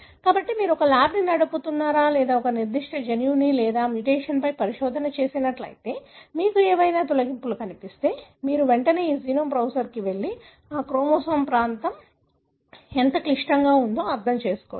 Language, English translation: Telugu, So, if you are a, you know, if you are running a lab or doing a research on a particular gene or its mutation, if you found any deletions you can immediately go to this genome browser and understand how complex that region of the chromosome is